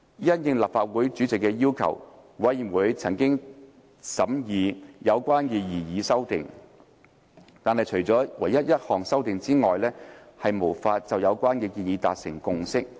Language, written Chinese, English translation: Cantonese, 因應立法會主席的要求，委員會曾審議有關的擬議修訂，但除一項修訂外，無法就有關建議達致共識。, The Committee considered these proposed amendments on the request of the President . Except one amendment Members could not reach consensus on the proposals